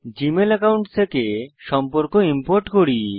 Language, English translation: Bengali, Lets import the contacts from our Gmail account